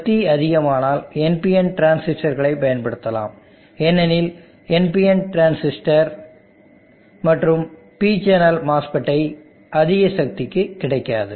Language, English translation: Tamil, If the power levels go high and you need to use NPN transistors, because the PNP transistor and P channel mass fits or not available for higher powers